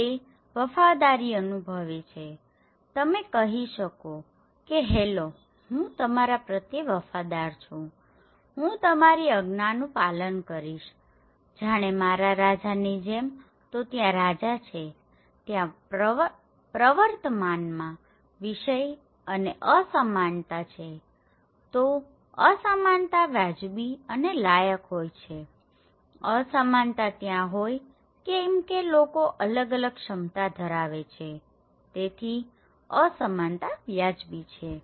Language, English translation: Gujarati, And feel loyalty, you have to say hello, I am loyal to you, I will follow your order okay, to your king; so there is a king, there is a subject and inequalities are prevailing there so, inequalities are fair and deserve, inequalities are there because people have different capacities, so that is why inequalities are justified okay